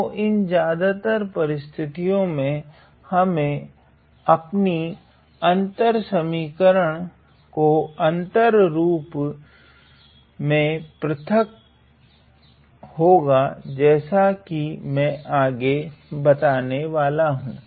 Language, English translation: Hindi, So, in most of these scenarios, we have to discretize our equations into these discrete forms that I am going to described next